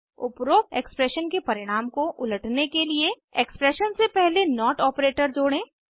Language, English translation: Hindi, To invert the result of above expression, lets add the not operator before the expression